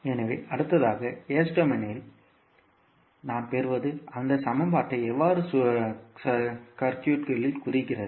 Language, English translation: Tamil, So, this we get in the s domain next is how represent that equation in the circuit